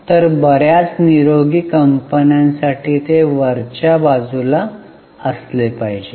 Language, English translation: Marathi, So, for most of the healthy companies it should be on a higher side